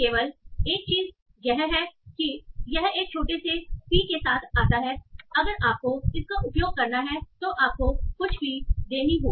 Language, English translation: Hindi, Only thing is that this comes to a very small fee, so if you have to use that, you have to pay some small fee